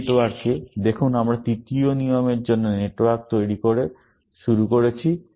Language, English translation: Bengali, In this network, see, we started off by creating network for the third rule